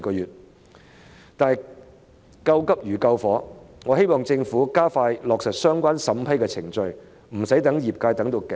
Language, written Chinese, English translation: Cantonese, 然而，救急如救火，我希望政府加快處理相關的審批程序，不要令業界望穿秋水。, However as helping someone to cope with an emergency is like quenching a fire I hope that the Government will expedite the vetting and approval process so that the industry will not have to wait for too long